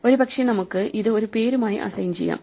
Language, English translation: Malayalam, Maybe we would assign this to a name, let us not call it